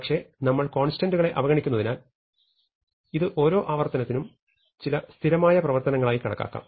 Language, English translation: Malayalam, But, since we are ignoring constants we can treat this as some c operations, some constant number of operations per iterations